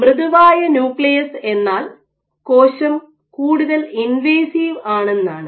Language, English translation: Malayalam, So, ideally a soft nucleus should mean that the cell is more invasive ok